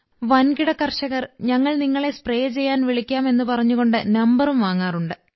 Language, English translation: Malayalam, Those who are big farmers, they also take our number, saying that we would also be called for spraying